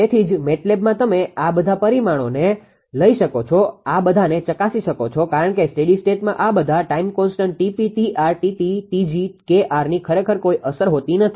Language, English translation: Gujarati, So, that is why MATLAB you can verify this all the take these parameters take these parameters because at the steady state actually ah this Tp all time constant Tp Tr Tt Tg Kr it will have no effect actually